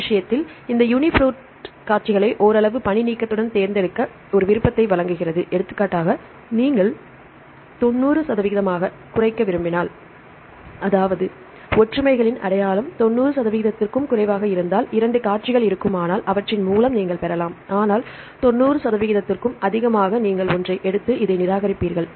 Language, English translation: Tamil, So, in this case, this UniProt provides an option to select these sequences with some level of redundancy for example, if you want to reduce to 90 percent; that means, if two sequences if the similarities identity is less than 90 percent you can get, but more than 90 percent you will take one and discard this one